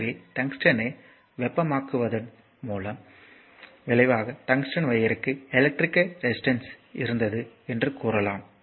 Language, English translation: Tamil, So, therefore, resulting in heating of the tungsten and we can say that tungsten wire had electrical resistance